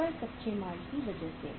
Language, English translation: Hindi, Only because of the raw material